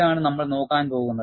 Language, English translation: Malayalam, This is what we are going to look at